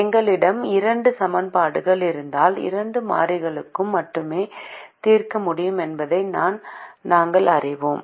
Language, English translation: Tamil, we also know that if we have two equations, we can only solve for two variables